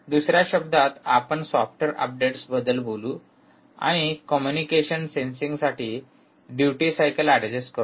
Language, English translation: Marathi, in other words, we talk about software updates and, ah, ah, adjusting the duty cycle